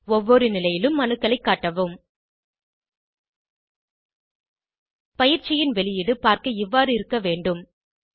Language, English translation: Tamil, Display atoms on each position Output of the assignment should look like this